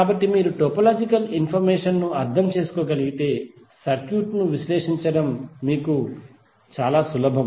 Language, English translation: Telugu, So if you can understand the topological information, it is very easy for you to analyze the circuit